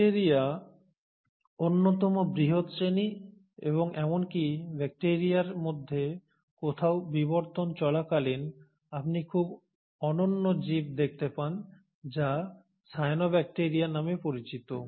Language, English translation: Bengali, So bacteria is one of the largest classes and even within the bacteria somewhere across the course of evolution you come across a very unique organism which is called as the cyanobacteria